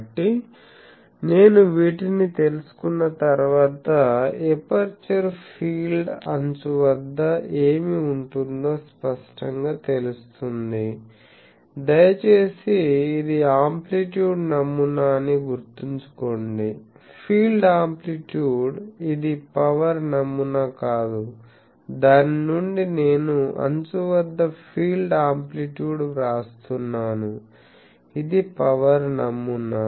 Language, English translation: Telugu, So, once I know these it is obvious that what will be the at the edge the aperture field please remember this is amplitude pattern; field amplitude, no this is power pattern from that I am writing the field amplitude at the edge; this is the power pattern aperture pattern